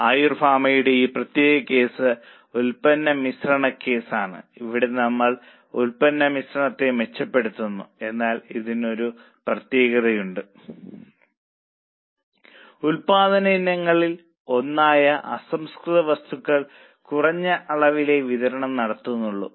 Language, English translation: Malayalam, This particular case of Ayur pharma is also a product mix case where we are improving the product mix but it has one more unique feature that one of the raw material one of the items of production that is raw material is in short supply that's why all our decision making revolves around better utilization of raw material